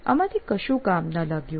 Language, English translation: Gujarati, None of them worked